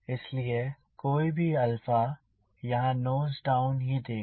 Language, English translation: Hindi, so any alpha here it also gives the nose down